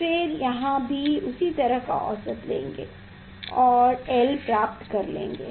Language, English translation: Hindi, Then, here also same way average of that one from there you can find out l small l